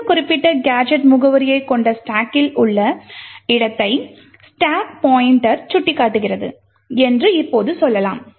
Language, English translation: Tamil, Now let us say that the stack pointer is pointing to a location in the stack which contains this particular gadget address